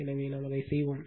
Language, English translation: Tamil, So, we will do it